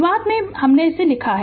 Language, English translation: Hindi, Initially I have written for you